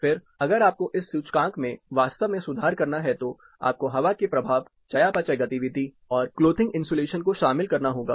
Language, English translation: Hindi, Again if you have to really improve on this index, you have to include the effect of air , you know metabolic activity and clothing insulation